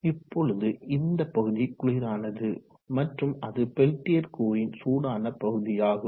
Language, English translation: Tamil, Now this portion will be the cold portion and that will be the hot portion of the peltier element